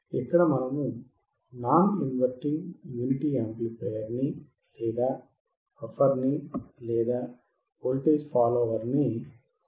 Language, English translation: Telugu, Here we are using non inverting unity amplifier, or buffer or voltage follower